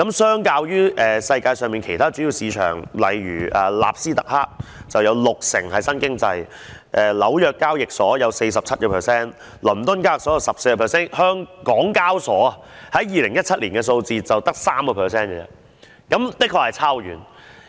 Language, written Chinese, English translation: Cantonese, 相較於世界上其他主要市場，例如納斯特克，它有六成是屬於新經濟的股份；紐約交易所，有 47%； 倫敦交易所，有 14%； 港交所在2017年的數字，只有 3%， 的確相差很遠。, Comparing with other major markets in the world for example new economy stocks account for about 60 % of the stocks in NASDAQ New York Stock Exchange 47 % London Stock Exchange 14 % while HKEx was 3 % only in 2017 . The difference is actually really huge